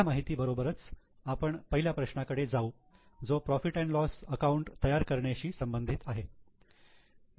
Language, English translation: Marathi, With this information now we will go to question one which is related to preparation of P&L